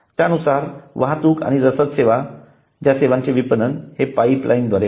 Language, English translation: Marathi, then comes the transportation and logistics services marketing of logistics services through pipeline